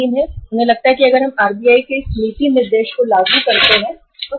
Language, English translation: Hindi, They feel that if we implement this policy directive of RBI then what will happen